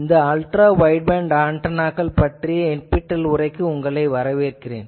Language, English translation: Tamil, Welcome to this NPTEL lecture on Ultra Wideband Antennas